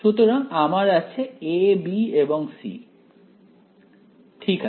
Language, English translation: Bengali, So, I have a, b and c ok